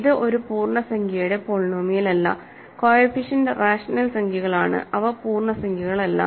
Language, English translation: Malayalam, It is not an integer polynomial, coefficients are rational numbers and they are not integers